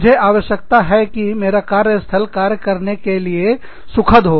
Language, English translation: Hindi, I need my, in my workplace, to be a pleasant place to work in